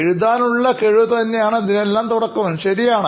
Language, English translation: Malayalam, So writing experience is the start of all of this, right